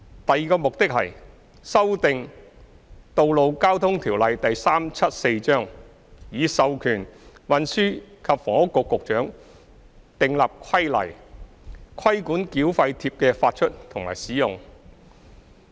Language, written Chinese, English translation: Cantonese, 第二個目的，是修訂《道路交通條例》，以授權運輸及房屋局局長訂立規例，規管繳費貼的發出和使用。, The second purpose is to amend the Road Traffic Ordinance Cap . 374 to empower the Secretary for Transport and Housing to make regulations to regulate the issue and use of toll tags